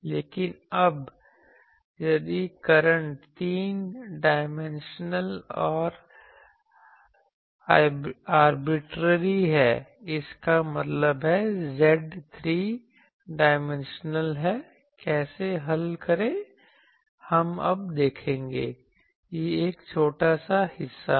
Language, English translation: Hindi, But now, if current is three dimensional and arbitrarily; that means, Z is 3 dimensional, how to solve that that we will see now, that is a small part